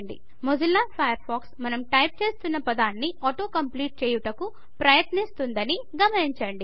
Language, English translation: Telugu, We see that Mozilla Firefox tries to auto complete the word we are typing